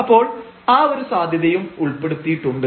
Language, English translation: Malayalam, So, that possibility is also included